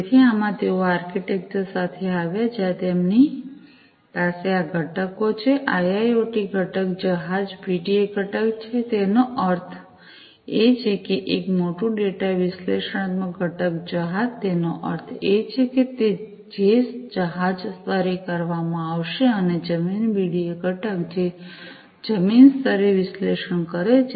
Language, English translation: Gujarati, So, in this they came up with this architecture, where they have these components the IIoT component the vessel BDA component; that means, a big data analytic component vessel; that means that the vessel level it is going to be done and the land BDA component, which does the analytics at the land level